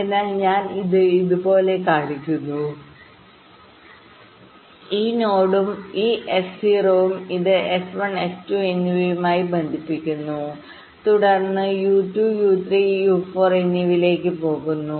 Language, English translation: Malayalam, so i am showing it like this: this node maybe one and this s zero, and this connects to s one and s two